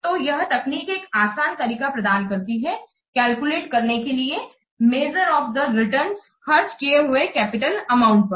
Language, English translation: Hindi, So, this technique provides a very simple and easy to calculate measure of the return on the spent capital amount